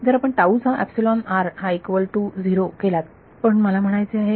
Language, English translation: Marathi, If you put epsilon r of tau equal to 0, but I mean